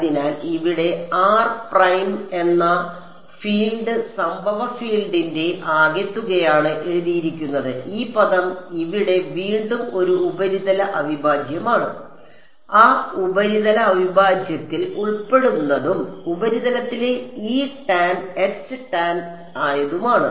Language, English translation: Malayalam, So, the field at some point over here r prime is written as a sum of the incident field and this term over here which is a surface integral again and that surface integral includes phi and grad phi which are E tan H tan on the surface